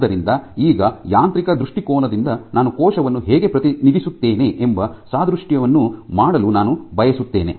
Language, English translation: Kannada, So, now, I would like to make an analogy as to if from a mechanical standpoint how do I represent a cell